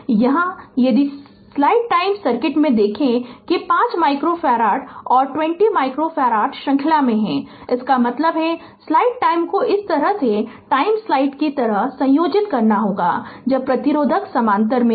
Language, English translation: Hindi, Here if you look in the circuit that 5 micro farad and 20 micro farad are in series ; that means, you have to combine it like the way you do it when resistors are in parallel